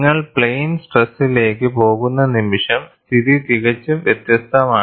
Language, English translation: Malayalam, And the moment you go to plane stress, the situation is quite different